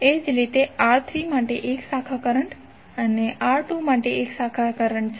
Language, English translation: Gujarati, Similarly, 1 branch current for R3 and 1 branch current for R2